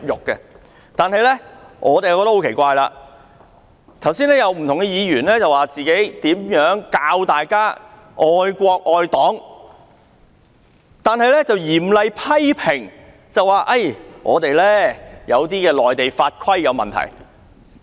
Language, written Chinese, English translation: Cantonese, 奇怪的是，剛才有不同議員教大家如何愛國愛黨，但又嚴厲批評有些內地法規有問題。, Strangely enough just now many Members have taught us how to love our country and love the Party but at the same time they were railing against the laws and regulations in Mainland